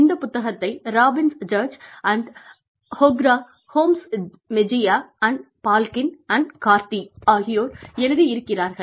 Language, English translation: Tamil, Book, by Robbins Judge & Vohra, Gomez Mejia & Balkin & Cardy